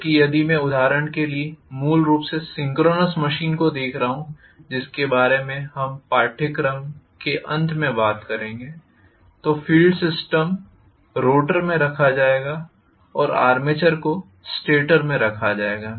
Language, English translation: Hindi, Whereas if I am looking at basically synchronous machines for example which we will be talking about towards the end of the course, the field will be housed in the rotor and armature will be housed in the stator